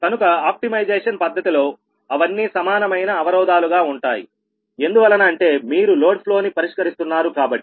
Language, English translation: Telugu, so therefore they are equality constraints in the optimization process, because you are solving load flow